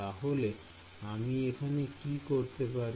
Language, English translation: Bengali, So, what can I do over here